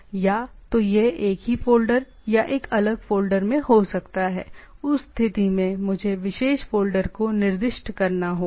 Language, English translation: Hindi, Either it may be same folder or in a different folder in that case I have to specify the particular folder